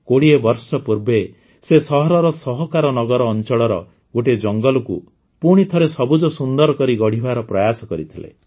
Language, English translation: Odia, 20 years ago, he had taken the initiative to rejuvenate a forest of Sahakarnagar in the city